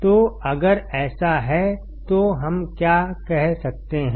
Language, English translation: Hindi, So, if that is the case what can we say